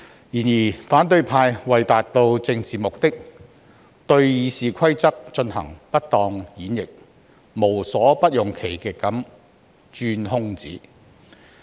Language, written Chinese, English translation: Cantonese, 然而，反對派為達致政治目的，對《議事規則》進行不當演繹，無所不用其極地鑽空子。, However in order to achieve certain political motives the opposition camp interpreted RoP inappropriately and availed itself of the loopholes by every means